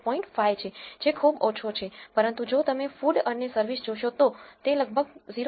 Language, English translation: Gujarati, 5 which is pretty low, but whereas, if you look at food and service it is almost equal to 0